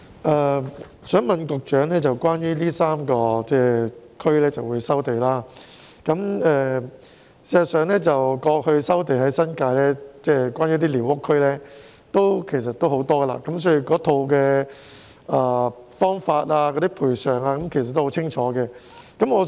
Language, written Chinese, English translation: Cantonese, 我想問局長關於將會在這3個地區收地的事宜，事實上，過去在新界寮屋區也有很多收地個案，所以有關的方法和賠償等都很清晰。, I would like to ask the Secretary about land resumption in these three areas . As a matter of fact there have been numerous land resumption cases relating to squatter areas in the New Territories in the past so matters like resumption methods and compensation are very clear